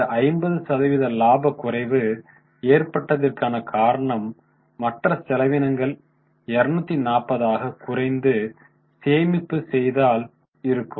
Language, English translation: Tamil, That is why nearly 50% fall of profit because their other expenses came down by 240, at least they were saved